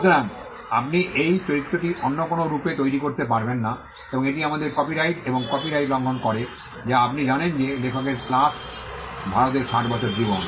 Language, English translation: Bengali, So, you cannot create that image in any other form and that violates our copyright and copyright as you know is a life of the author plus 60 years in India